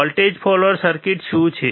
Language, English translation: Gujarati, What is voltage follower circuit